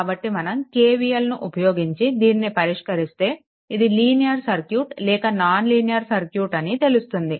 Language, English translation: Telugu, So, we apply KVL and accordingly you solve this one right and prove that whether it a circuit is a linear or not